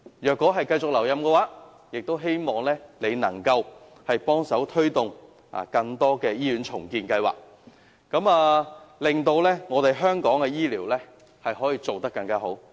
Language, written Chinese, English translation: Cantonese, 如你能繼續留任，我們希望你能夠幫忙推動更多的醫院重建計劃，令香港的醫療服務做得更好。, Should that be the case we hope he can help promote more hospital redevelopment projects to improve healthcare services in Hong Kong